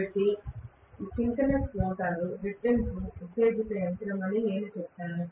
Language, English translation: Telugu, So, I would say that synchronous motor is a doubly excited machine